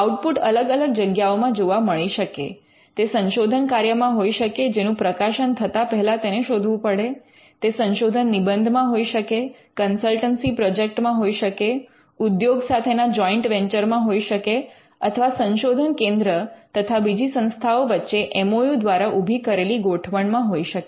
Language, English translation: Gujarati, Now, the output can be in different places it could be in research work which has to be found before publication it could be in PhD theses, it could be in consultancy projects, it could be in joint venture with industry, it could be in arrangement based on an MOU between other institutions and research centres